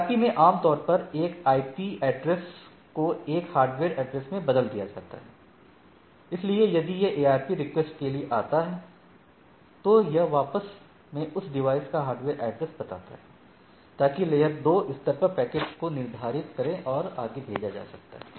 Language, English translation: Hindi, So, at the ARP typically changes a map say, IP address to a hardware address so, if it goes for a ARP request, it returns that what is the hardware address of that particular device, so that packet the frame at the layer 2 level can be forwarded